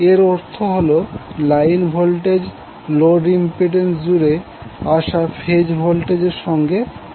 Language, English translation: Bengali, That means line voltage will be equal to phase voltage coming across the load impedance